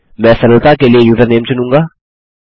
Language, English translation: Hindi, I will select username for simplicity